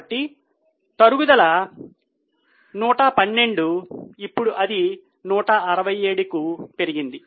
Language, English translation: Telugu, So, depreciation is 112, now it has increased to 167